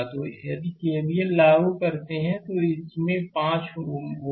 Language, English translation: Hindi, So, if you apply KVL, then it will be 5 into i this i